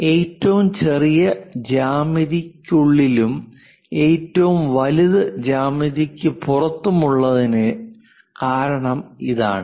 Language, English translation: Malayalam, So, this is the smallest one that is a reason inside of that geometry near to that and the large one outside of that geometry